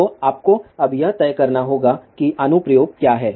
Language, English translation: Hindi, So, you have to now decide what is the application